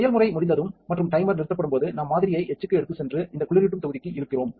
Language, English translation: Tamil, When the process is done and the timer stops, we take the sample to the etch and pull it off onto this cooling block